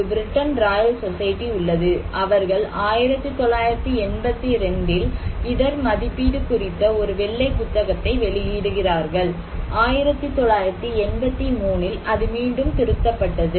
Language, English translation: Tamil, there is a Britain Royal Society; they publish a White book on risk assessment in 1982 and in 1983, it was revised again